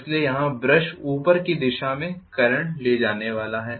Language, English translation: Hindi, So the brush here is going to carry current in upward direction